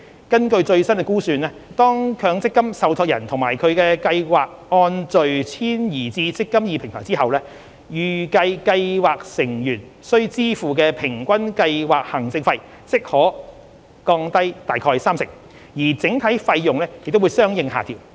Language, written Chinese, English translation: Cantonese, 根據最新估算，當強積金受託人及其計劃按序遷移至"積金易"平台後，預期計劃成員需支付的平均計劃行政費即可降低約三成，而整體費用也會相應下調。, According to the latest estimates as soon as MPF trustees and their schemes migrate to the eMPF Platform in sequence scheme members are expected to enjoy on average a cut of about 30 % in the scheme administration fee payable with a corresponding reduction in the overall fee level